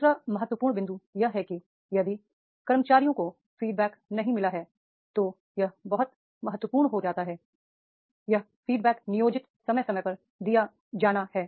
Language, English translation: Hindi, Second important point is if employees have not received the feedback, that becomes very, very important